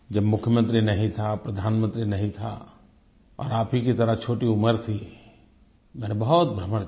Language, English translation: Hindi, When I was neither Chief Minister nor Prime Minster, and I was young like you, I travelled a lot